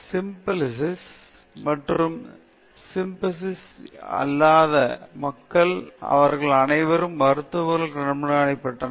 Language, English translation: Tamil, So, people with syphilis and without syphilis, they were all monitored by the physicians